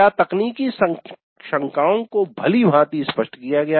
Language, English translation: Hindi, Technical doubts were clarified well